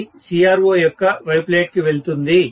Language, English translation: Telugu, This will go to the X plates of the CRO